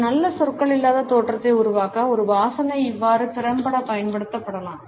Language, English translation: Tamil, A smell can thus be used effectively to create a good non verbal impression